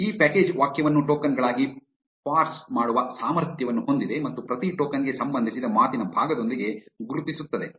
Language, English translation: Kannada, This package is capable of parsing a sentence as tokens and marking each token with a part of speech associated with it